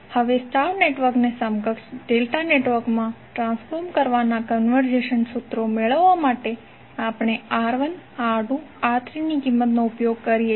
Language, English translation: Gujarati, Now, to obtain the conversion formulas for transforming a star network into an equivalent delta network, we use the value of R1, R2, R3